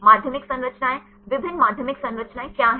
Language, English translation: Hindi, Secondary structures; what are different secondary structures